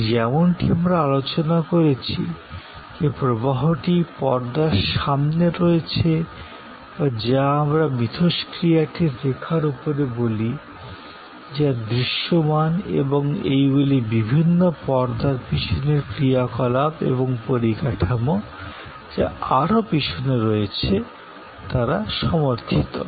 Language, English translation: Bengali, And as we have discussed, the flow which is in the front stage or what we call above the line of interaction, which is visible area is supported by different back stage actions and different infrastructure, which are even at the further back end